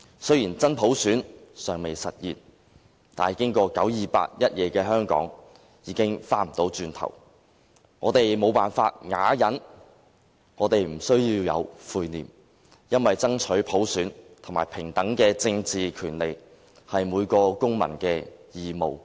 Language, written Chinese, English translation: Cantonese, 雖然真普選尚未實現，但經過九二八一夜的香港，已經回不去了，我們無法啞忍，我們不需要有悔念，因為爭取普選和平等的政治權利，是每個公民的義務，何罪之有？, Although genuine universal suffrage is not yet implemented Hong Kong is never the same after that very night of 28 September . We cannot swallow our discontent in silence and we need not feel any guilt for it is the duty of every citizen to fight for universal suffrage and equal political rights . Why should we feel any guilt?